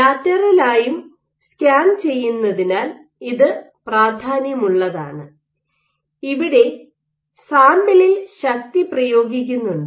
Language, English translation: Malayalam, This is important because you are scanning laterally; you are exerting force on the sample